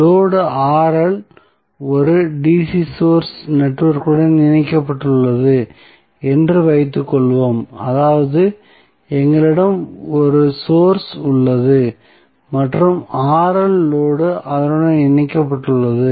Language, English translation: Tamil, So, let us assume that the load Rl is connected to a DC source network that is, we have a book here and load Rl is connected to that